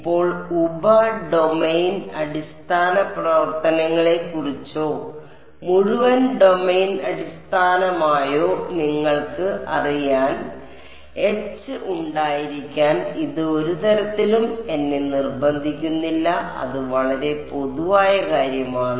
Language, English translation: Malayalam, Now, and this does not in any way force me to have H to be you know sub domain basis functions or entire domain basis H is H whatever it is so a very general